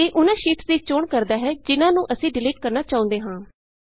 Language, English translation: Punjabi, This selects the sheets we want to delete